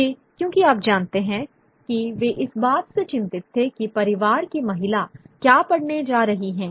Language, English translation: Hindi, Because they were worried about what the women in the family are going to read, what little children are going to read